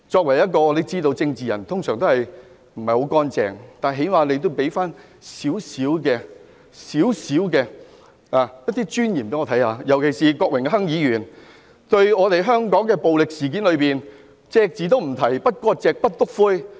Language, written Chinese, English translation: Cantonese, 我們知道，作為政治人物通常不是很乾淨，但最低限度讓我看到一點尊嚴，尤其是郭榮鏗議員對近來香港發生的暴力事件隻字不提，不割席、不"篤灰"。, As we all know political figures are usually not very clean but they should at least show us some dignity . Mr Dennis KWOK in particular has been completely silent about the recent violent incidents in Hong Kong no severing ties and no snitching